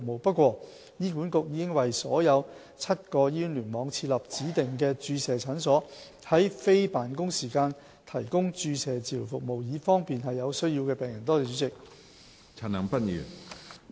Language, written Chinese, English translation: Cantonese, 不過，醫管局已在所有7個醫院聯網設立指定的注射診所，在非辦公時間提供注射治療服務，以方便有需要的病人。, Nevertheless HA has set up designated depot clinics in all seven clusters to provide depot injection treatment during non - office hours to facilitate the use of the service by patients in need